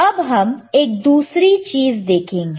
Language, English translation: Hindi, Let us see another thing